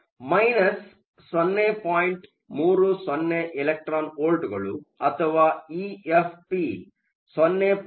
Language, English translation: Kannada, 30 electron volts or E Fp is 0